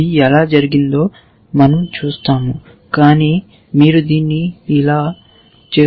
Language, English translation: Telugu, We will see how it is done, but you can think of it as doing like this